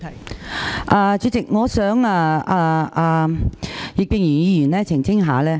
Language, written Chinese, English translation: Cantonese, 代理主席，我想葉建源議員澄清。, Deputy President I would like to seek an elucidation from Mr IP Kin - yuen